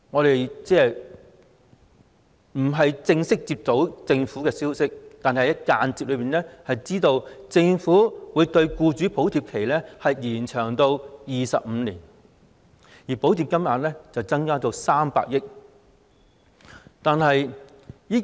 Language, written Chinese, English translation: Cantonese, 雖然沒有正式公布，但我們間接得知，政府會將僱主補貼期延長至25年，而補貼金額亦會增加至300億元。, Although there has not been an official announcement we have learnt indirectly that the Government is going to extend the subsidy period for employers to 25 years and increase the amount of subsidy to 30 billion